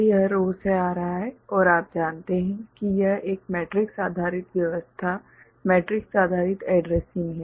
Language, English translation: Hindi, So, this is coming from row and you know this is a matrix based arrangement matrix based addressing